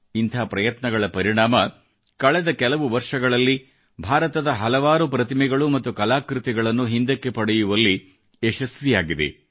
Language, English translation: Kannada, Because of such efforts, India has been successful in bringing back lots of such idols and artifacts in the past few years